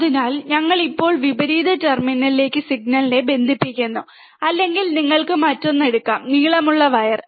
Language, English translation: Malayalam, So, we are now connecting the signal to the inverting terminal, or you can take another wire longer wire